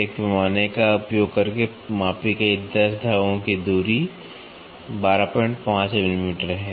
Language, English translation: Hindi, The distance across 10 threads measured using a scale is 12